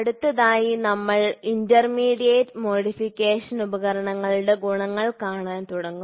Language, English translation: Malayalam, So, next we will start looking intermediate modification devices advantages